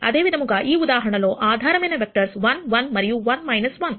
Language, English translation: Telugu, Similarly, in this case the basis vectors are 1 1 and 1 minus 1